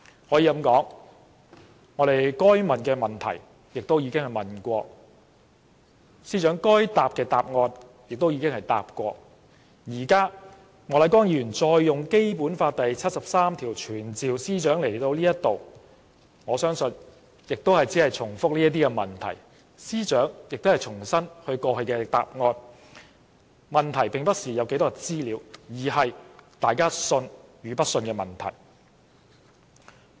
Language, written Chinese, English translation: Cantonese, 可以說，我們該問的已經問了，司長該回答的亦已答了，現在莫乃光議員引用《基本法》第七十三條傳召司長到立法會席前，我相信亦只會是重複這些問題，司長亦只可重申她過去的答案，這不是可取得多少資料，而是大家信與不信的問題。, It can be said that we have asked all questions that should be asked and the Secretary for Justice has answered all questions that should be answered . Mr Charles Peter MOK now invoked Article 73 of the Basic Law to summon the Secretary for Justice to attend before this Council I believe Members will only ask the same questions once again and the Secretary for Justice will only repeat the same answers given previously . This is not a matter of what further information can be obtained but whether the people believe her words or not